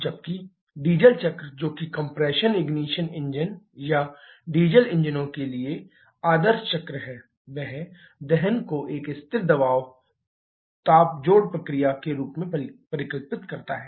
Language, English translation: Hindi, Whereas the Diesel cycle, which is the ideal cycle for compression ignition engine or diesel engines that visualises combustion as a constant pressure heat addition process